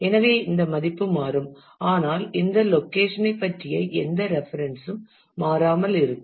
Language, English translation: Tamil, And so, this value will change, but any references made to this location will remain invariant